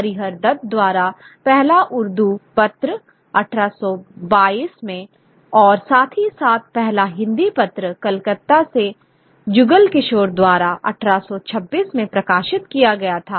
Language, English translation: Hindi, The first Urdu paper, 1822 by Hariardath and as well as the first Hindi paper was published from Calcutta by Jugal Kishore in 1826